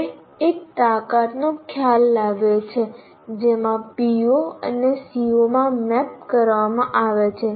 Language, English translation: Gujarati, So what happens we bring in the concept of the strength to which a particular PO is mapped to a CO